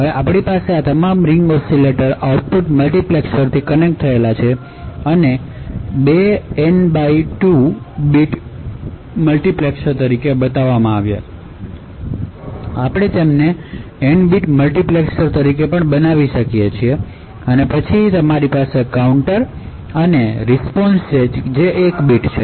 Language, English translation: Gujarati, Now, we have all of these ring oscillator outputs connected to multiplexers, so this is shown as two N by 2 bit multiplexers but we can actually have them as N bit multiplexers, and then you have counters and response which is of 1 bit